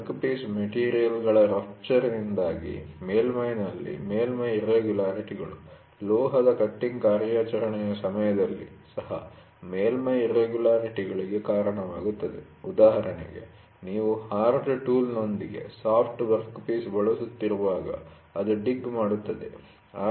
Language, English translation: Kannada, Surface irregularities on the surface due to rupture of workpiece material, during metal cutting operation also leads to surface irregularities, for example; you try to when you are using a soft workpiece with a hard tool, it digs